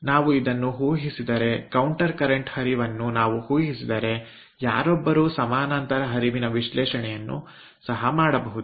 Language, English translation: Kannada, if we assume this, then if we assume counter current flow, one can also do the analysis for parallel flow